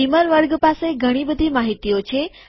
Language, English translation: Gujarati, Beamer class has lots of information